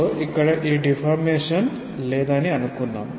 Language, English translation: Telugu, So, let us say that there is no deformation